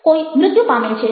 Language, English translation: Gujarati, somebody is dead